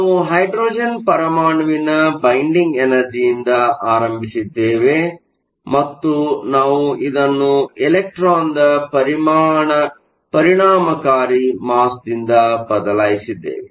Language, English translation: Kannada, We started with the binding energy for hydrogen and we replace it with the effective mass of the electron